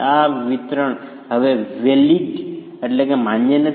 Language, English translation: Gujarati, This distribution is no longer valid